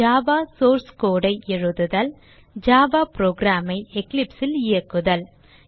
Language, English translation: Tamil, How to Write a java source code and how to run a java program in Eclipse